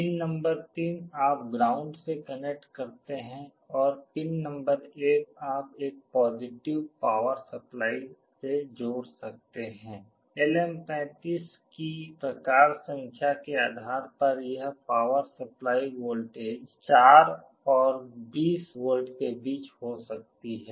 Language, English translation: Hindi, Pin number 3 you connect to ground and pin number 1 you can connect a positive power supply; depending on the type number of LM35 this power supply voltage can vary between 4 and 20 volts